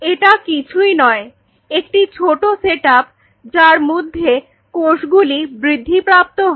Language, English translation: Bengali, Which is nothing, but a small set up where you are growing the cells which is self contained